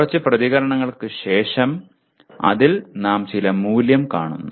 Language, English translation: Malayalam, And then after a few responses, you see some value in that